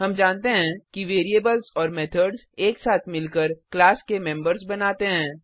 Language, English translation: Hindi, We know that variables and methods together form the members of a class